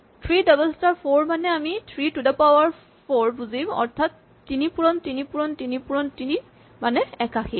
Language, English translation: Assamese, 3 double star 4 is what we would write normally as 3 to the power 4 is 3 times, 3 times, 3 four times right and this is 81